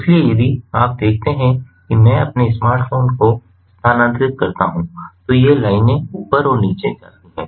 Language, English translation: Hindi, so if you see, if i move my smartphone these lines go up and down